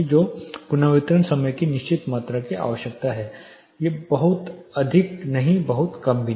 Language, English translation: Hindi, So, certain amount of reverberation time is needed not too high not too low